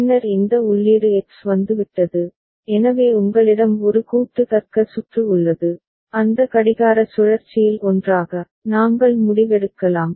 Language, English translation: Tamil, And then these input x has come, so you have a combinatorial logic circuit, together in that clock cycle itself, we can take the decision